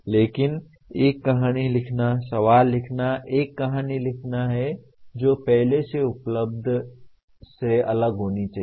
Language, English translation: Hindi, But creating, writing a story the question is to write a story which should be different from what is already available